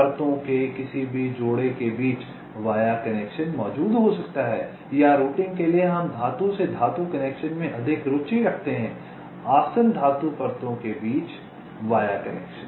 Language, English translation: Hindi, via connection can exist between any pair of layers or for routing, we are more interested in metal to metal connections via connections between adjacent metal layers